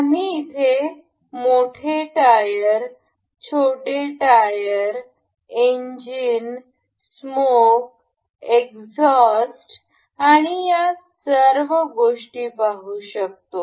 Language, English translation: Marathi, We can see these parts of this the larger tires, the smaller tire, the engines, the smoke exhaust and all those things